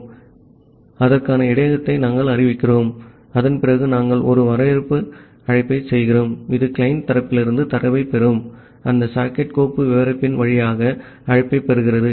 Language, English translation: Tamil, So, we are declaring that buffer for that and after that we are making a receive call, this receive call over that socket file descriptor that will get the data from the client side